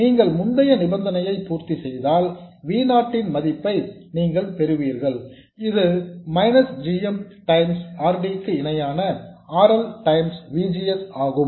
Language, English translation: Tamil, If you satisfy the earlier condition, you will get the value of V0, which is minus GM times RD parallel RL times VGS